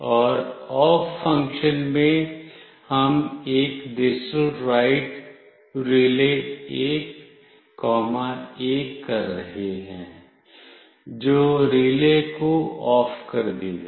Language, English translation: Hindi, And in the off function, we are doing a digitalWrite (RELAY1, 1) that will turn off the relay